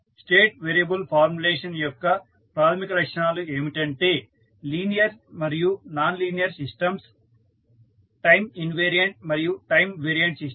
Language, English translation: Telugu, The basic characteristics of a state variable formulation is that the linear and nonlinear systems, time invariant and time varying system